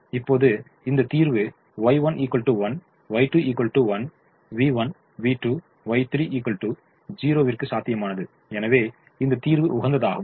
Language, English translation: Tamil, now this solution y one equal to one, y two equal to one, v one, v two, y three equal to zero is feasible and hence optimum